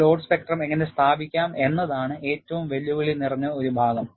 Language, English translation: Malayalam, And one of the most challenging part is, how to establish a load spectrum